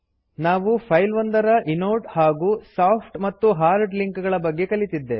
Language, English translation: Kannada, We also learnt about the inode, soft and hard links of a file